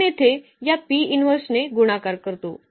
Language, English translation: Marathi, We multiply by this P inverse here